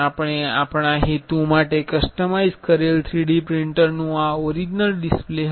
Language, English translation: Gujarati, This was the original display for 3D printer we have customized for our purpose